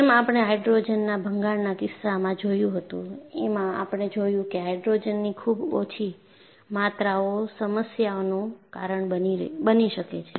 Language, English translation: Gujarati, And like what we had seen in the case of hydrogen embrittlement, there are also we saw, very small amounts of hydrogen, can cause problem